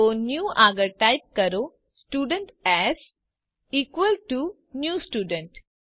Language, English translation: Gujarati, So before new type Student s is equal to new student